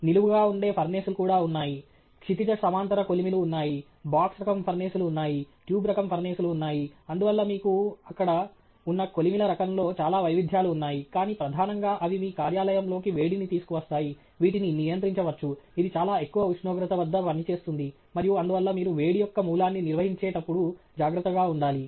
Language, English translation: Telugu, There are also furnaces which are vertical, there are furnaces which are horizontal, there are box type furnaces, there are tube type furnaces; so lot of variety in the type of furnaces that you have there, but principally they bring into your work place a source of heat which could be controlled, which would be running at a very high temperature, and therefore, you need be careful when you handle that source of heat